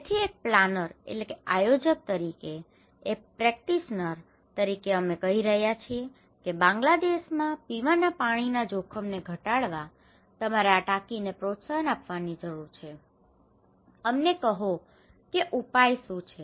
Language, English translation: Gujarati, So, as a planner, as a practitioner, we are saying that okay, you need to promote this tank to stop drinking water risk to reduce drinking water risk in Bangladesh, tell us what is the solution